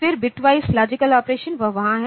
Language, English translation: Hindi, Then the bit wise logical operation, that is there